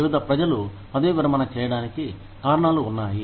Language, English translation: Telugu, Various reasons are there, for people to retire